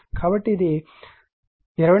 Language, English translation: Telugu, So, it is 2478